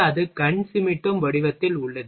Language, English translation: Tamil, And it is in wink form